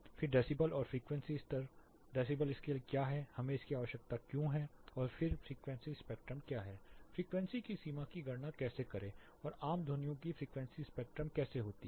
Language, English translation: Hindi, Then decibel and frequencies levels, what is the decibel scale, why do we need it, and then what is the frequency spectrum how to calculate the limits of frequencies, and how common sounds have their frequencies spectrum